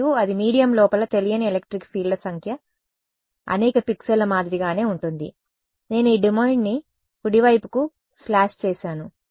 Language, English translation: Telugu, And, that will be and the number of unknown electric fields inside the medium is the same as a number of pixels, that I have slash this domain into right